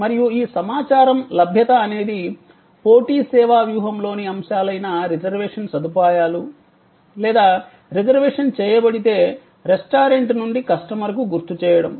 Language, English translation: Telugu, And these, availability of these information are elements of competitive service strategy as are reservation facilities or if the reservation has been done, then remainder from the restaurant to the customer